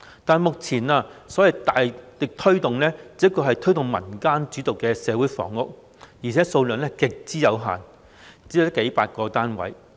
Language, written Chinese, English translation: Cantonese, 但是，目前的所謂"大力推動"，只是推動民間主導的社會房屋共享計劃，而且供應量極之有限，只有區區數百個單位。, However the so - called strong effort being made now is only pushing the development of Community Housing Movement led by the community and the supply is extremely limited with only a few hundreds of units